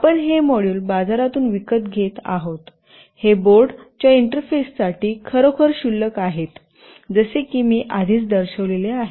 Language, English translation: Marathi, You buy these modules from the market, these are really trivial to interface with the boards as I have already shown